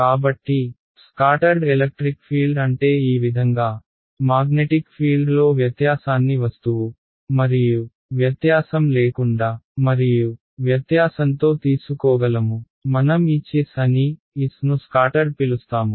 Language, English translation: Telugu, So, that is what is the scattered electric field, similarly I can take the difference in the magnetic field with and without object and difference I will call as the Hs, s for scattered right we call this scattered